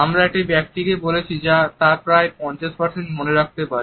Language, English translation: Bengali, We are likely to retain almost as much as 50% of what a person has talked about